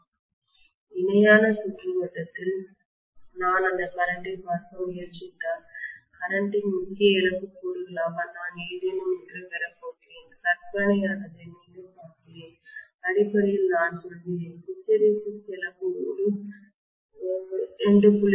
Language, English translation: Tamil, yeah Yeah, So in the parallel circuit if I try to look at that current I am going to have something as the core loss component of current, fictitious again see basically I am saying that maybe the hysteresis loss is something like hundred watts in a 2